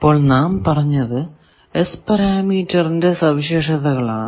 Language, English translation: Malayalam, All we had in these properties of S parameter